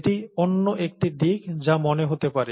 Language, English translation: Bengali, That is another aspect that could come to mind